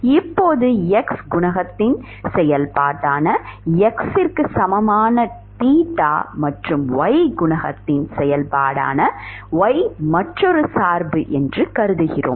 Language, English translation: Tamil, Now we assume that theta equal to some capital X which is a function of only x coefficient and another function Y which is function of y coefficient